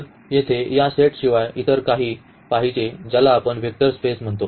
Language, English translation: Marathi, So, here this vector spaces they are the special set here